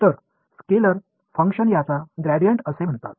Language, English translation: Marathi, So, scalar function this is called the gradient